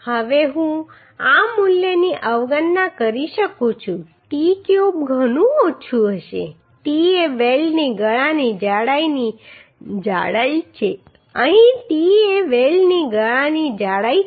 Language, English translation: Gujarati, Now I can neglect this value the t cube will be much less t is the thickness of the throat thickness of the weld here t is a throat thickness of the weld